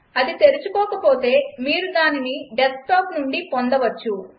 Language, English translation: Telugu, If it doesnt open, you can access it from the desktop